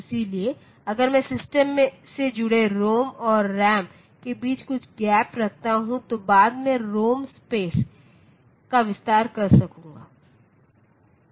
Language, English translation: Hindi, So, that if I keep some gap between ROM and RAM connected to the system their addresses, then I will be able to extend the ROM space later